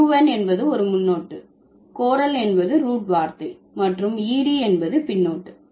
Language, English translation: Tamil, So, un is a prefix, solicit is the root word and ED is the suffix